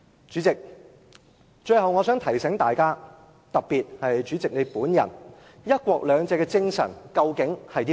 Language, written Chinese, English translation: Cantonese, 主席，我最後想提醒大家，特別主席本人，"一國兩制"的精神究竟是甚麼？, President lastly I would like to remind all of us and especially the President the spirit of one country two systems